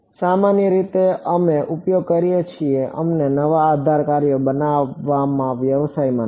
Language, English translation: Gujarati, Typically we use we are not in the business of constructing new basis functions